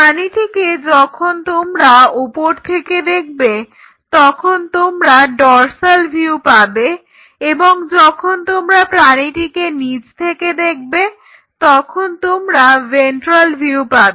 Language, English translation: Bengali, So, when you see the animal from the top you get a dorsal view when you see from the bottom see for example, you are seeing the animal from the top, this gives you a dorsal view